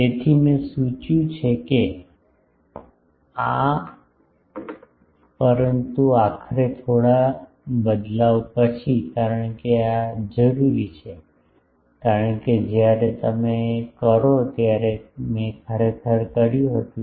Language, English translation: Gujarati, So, I have indicated that this, but ultimately after a bit manipulation, because this is required, because when you do I did actually